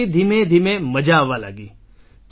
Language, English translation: Gujarati, Then slowly, now it is starting to be fun